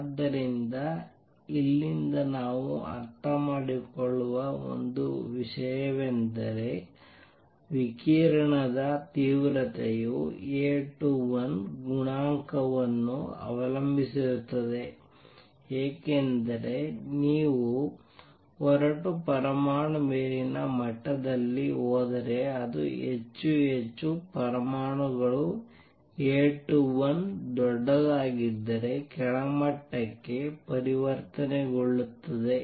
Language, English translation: Kannada, So, one thing we understand from here is number one that the intensity of radiation will depend on A 21 coefficient because if you leave and atom in the upper level it will make more and more atoms will make transition to lower levels if A 21 is larger